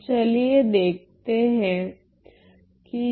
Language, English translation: Hindi, So, let us see what is this